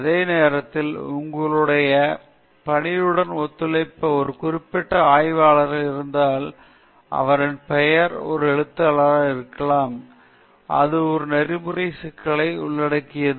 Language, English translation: Tamil, At the same time, whether a particular researcher who collaborated with your work, can his name be included as an author that itself involves an ethical issue